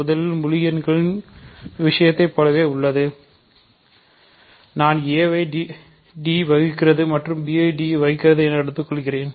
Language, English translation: Tamil, So, first of all just like in the integer case, I want d to divide a and d to divide b, ok